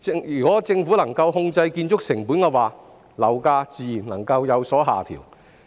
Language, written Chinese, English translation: Cantonese, 如果政府能夠控制建築成本，樓價自然能夠有所下調。, If the Government can control construction costs property prices will naturally come down